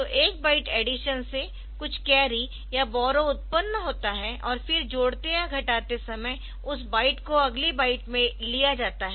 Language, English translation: Hindi, So, from one byte addition, some carry or borrow is generated and then that is taken the in next byte while adding a subtracting that next byte